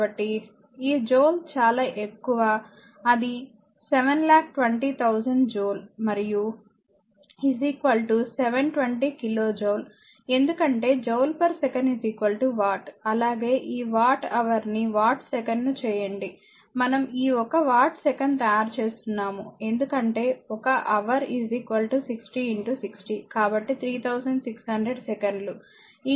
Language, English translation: Telugu, So, this much of joule that is 720,000 joule and is equal to your 720 kilo joule, because joule per second is equal to watt as well as you make this watt hour into watt second we are making this one watt second because one hour is equal to your 60 into 60, so, 3600 second multiplied by this 200 into 400